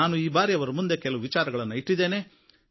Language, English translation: Kannada, This time I put some issues before them